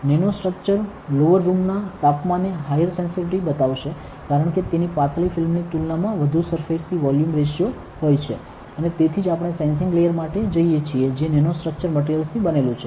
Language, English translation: Gujarati, The nano structure would show a higher sensitivity at a lowered room temperature because it has a higher surface to volume ratio compared to thin films, and that is why we go for a sensing layer which is made up of nano structure materials